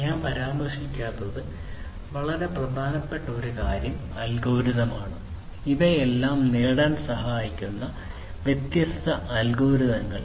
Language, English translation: Malayalam, One very important thing I have not mentioned yet; it is basically the algorithms, the different algorithms that can help in achieving all of these